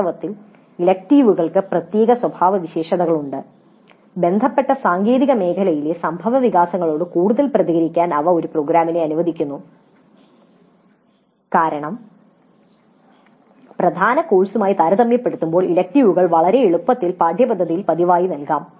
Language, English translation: Malayalam, And in fact electives of special characteristics they permit a program to be more responsive to the developments in the technical domain concern because electives can be offered much more easily much more frequently in the curriculum compared to the core courses